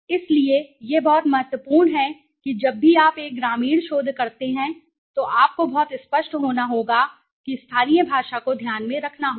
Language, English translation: Hindi, So, this is very important that whenever you do a rural research, you to have to be very clear that the local language needs to be kept in mind okay